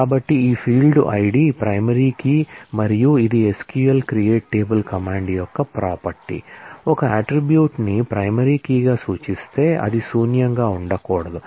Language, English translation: Telugu, So, this field ID is a primary key and it is a property of SQL create table command that, if an attribute is referred as a primary key, then it cannot be not null